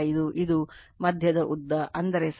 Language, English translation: Kannada, 5 this is the mid length, that is mean height right, 8